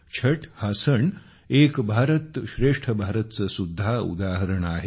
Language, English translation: Marathi, The festival of Chhath is also an example of 'Ek Bharat Shrestha Bharat'